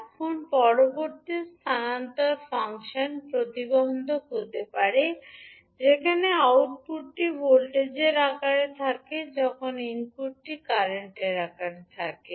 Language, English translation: Bengali, Now, next transfer function can be impedance, where output is in the form of voltage, while input is in the form of current